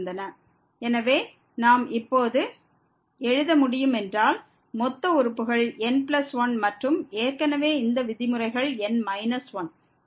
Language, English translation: Tamil, So, if we can re write now the total term plus 1 and already these terms are n minus 1; so plus 1 minus minus 1